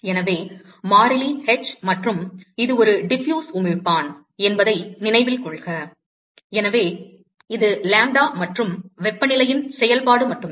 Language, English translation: Tamil, So, the constant h, and note that, it is a fiffuse emitter, therefore, it is only a function of lambda and temperature